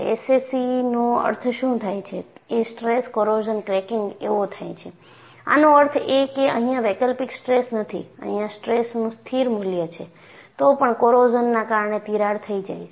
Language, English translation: Gujarati, SCC means stress corrosion cracking; that means, I do not have alternating stress; I have a constant value of stress; nevertheless, because of corrosion, the crack has grown